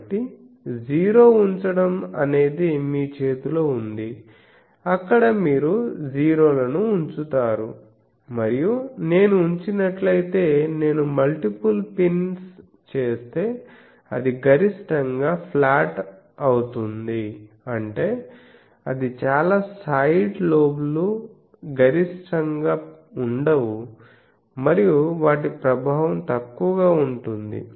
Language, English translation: Telugu, So, 0 placing is in your hand where you will place the 0s and if I multiple pins if I put, then it will be that maximally flat means it is not going to a side lobe of very higher sharply